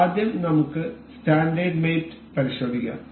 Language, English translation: Malayalam, So, let us check the standard mates first